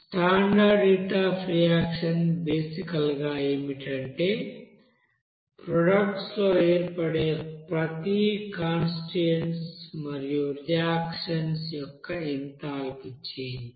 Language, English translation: Telugu, So this standard heat of reaction is basically what will be the change of you know enthalpy of formation of each constituents in the products and reactants